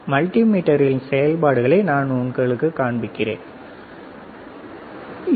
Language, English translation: Tamil, And I will show it to you, the functions of the multimeter